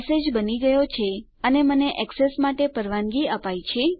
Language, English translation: Gujarati, Message has been created and Ive been allowed access